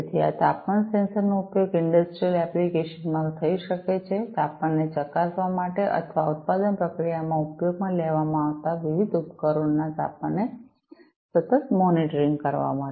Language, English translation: Gujarati, So, this temperature sensor could be used in industrial applications, to check the temperature or to monitor continuously monitor the temperature of the different devices that are being used in the manufacturing process